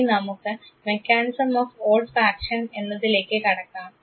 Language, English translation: Malayalam, Let us now come to the mechanism of Olfaction